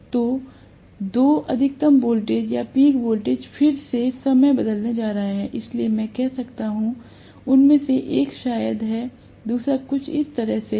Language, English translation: Hindi, So, the two maximum voltages or peak voltages are going to be time shifted again, so I might say, one of them probably is like this, the other one is somewhat like this